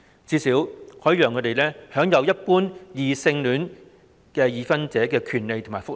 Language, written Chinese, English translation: Cantonese, 這最低限度可讓他們享有和一般異性戀已婚人士相同的權利及福利。, By doing so homosexual couples can at least enjoy the same rights and benefits available to ordinary heterosexual married couples